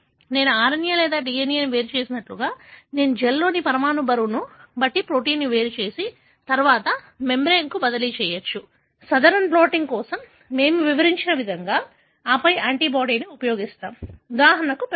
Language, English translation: Telugu, Like I separated RNA or DNA, I can also separate protein according to their molecular weight in the gel and then transfer to a membrane, just the way we described for Southern blotting and then use an antibody which would recognize, for example a peptide